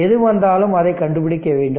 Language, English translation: Tamil, Whatever it will come you find it out right